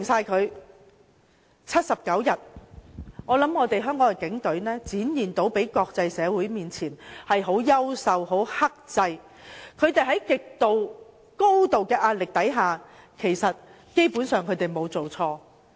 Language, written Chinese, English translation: Cantonese, 在那79天，我相信香港警隊已向國際社會展現了優秀和克制的一面，在高度壓力下，他們基本上沒有做錯。, During the 79 days I trust the Police had displayed their excellence and restraint to the international community and they had basically done nothing wrong despite the tremendous pressure